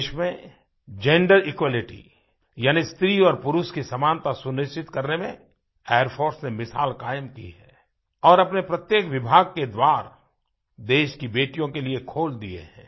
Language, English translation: Hindi, The Air Force has set an example in ensuring gender equality and has opened its doors for our daughters of India